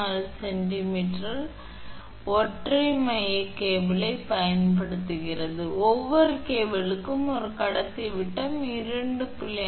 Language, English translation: Tamil, 4 kilo meter long uses 3 single core cable, each cable has a conductor diameter 2